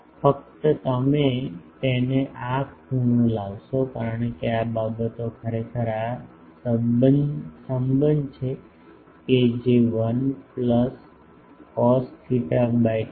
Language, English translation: Gujarati, How just you put it bring this angle theta because, this things actually this relation that 1 plus cos theta by 2 f